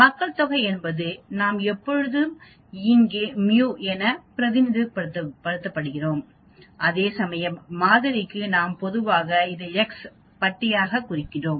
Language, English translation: Tamil, Population mean we always represent it as mu here, whereas for sample mean, we generally represent it as x bar